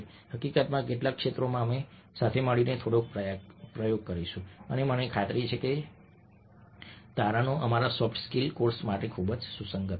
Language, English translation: Gujarati, in fact, in some of the areas we will do a little bit of experimentation together and we findings, i am sure, will be very, very relevant for our soft skills course